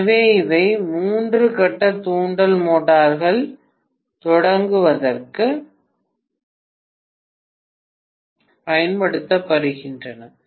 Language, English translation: Tamil, So these are used for starting three phase induction motors, right